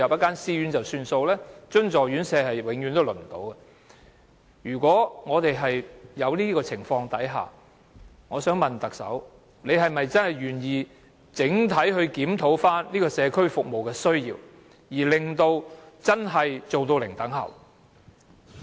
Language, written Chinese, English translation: Cantonese, 而津助院舍則永遠都輪候不到。如果有這種情況，我想問特首是否願意整體地檢討社區服務的需要，以達致真正的"零輪候"？, Under this situation is the Chief Executive prepared to do a comprehensive review on the demand for community care services so as to achieve zero - waiting time in the literal sense?